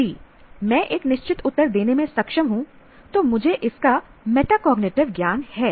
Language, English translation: Hindi, If I am able to give a definitive answer, I have metacognitive knowledge of that